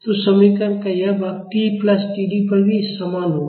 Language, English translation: Hindi, So, this part of the equation will be same at t plus T D as well